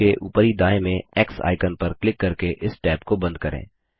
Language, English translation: Hindi, Lets close this tab, by clicking on the X icon, at the top right of the tab